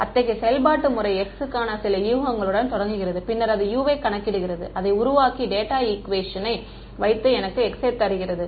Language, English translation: Tamil, Such an iterative method starts with some guess for x, then calculates U form that and puts that U into the data equation and gives me the x ok